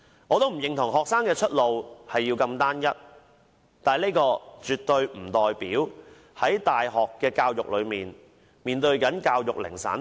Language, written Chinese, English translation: Cantonese, 我不認同學生的出路要如此單一，但這絕對不代表他們接受大學教育時要面對教育零散化。, I do not think that should be the only pathway for students . But it does not mean that when they receive university education they should be having such fragmentary education